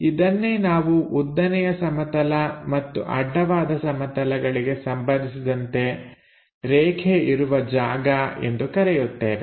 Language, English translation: Kannada, That is what we call is position with respect to vertical plane and horizontal plane